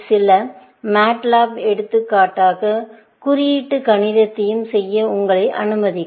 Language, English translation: Tamil, Some MATLAB, for example, will also allow you to do symbolic mathematics